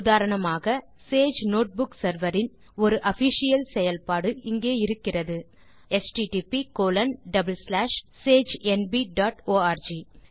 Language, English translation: Tamil, For example there is an official instance of Sage Notebook server running at http colon double slash sagenb dot org